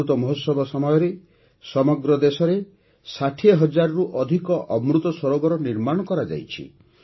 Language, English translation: Odia, During the Amrit Mahotsav, more than 60 thousand Amrit Sarovars have also been created across the country